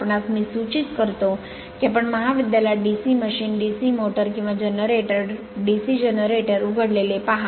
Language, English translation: Marathi, You I suggest you see in your college that open DC machine, DC motor or DC generator